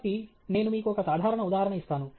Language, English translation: Telugu, So, I will give you a simple example